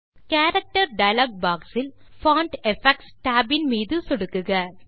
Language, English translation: Tamil, From the Character dialog box, click Font Effects tab